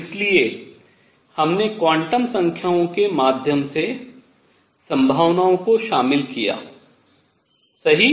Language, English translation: Hindi, So, we included the possibility through quantum numbers right